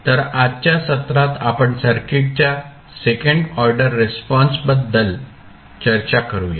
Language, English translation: Marathi, So, let us start the discussion about the second order response